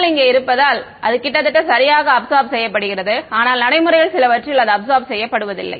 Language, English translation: Tamil, PML over here so, its absorbing it almost perfectly, but I mean in practice some of it will not get absorbed right